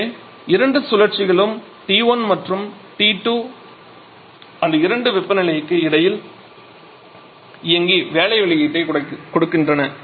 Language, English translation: Tamil, So, both the cycles are operating between the same 2 reservoirs temperature T 1 and T 2 and they are giving work output